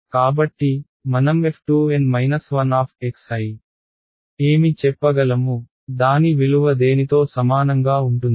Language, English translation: Telugu, So, what can I say about f 2 N minus 1 x i what will its value be equal to